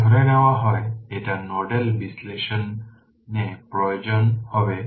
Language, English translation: Bengali, If you assume it is ground in nodal analysis you we will apply right